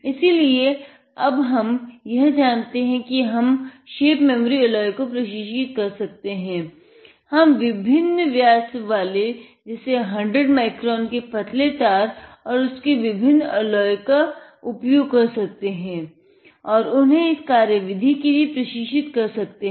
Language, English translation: Hindi, So, now, we know how we can train the shape memory alloy, we can have different diameters; this is the 100 micron thin nitinol wire and their different alloys